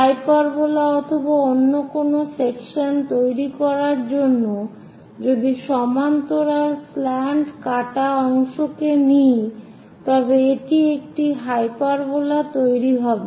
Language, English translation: Bengali, If a parallel slant cut section if we are taking it construct a hyperbola and any other section it makes hyperbola